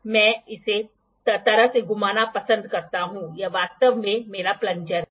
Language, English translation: Hindi, I like to spin it in this way, this is actually my plunger